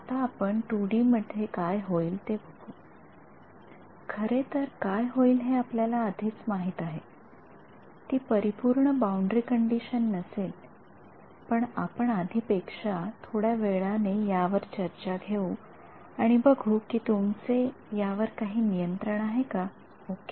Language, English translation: Marathi, Now, let us see what happens in 2D, we already know what will happen actually, it will not be a perfect boundary condition but, let us make the let us take a discussion little bit further than last time and see and do you have some control over it ok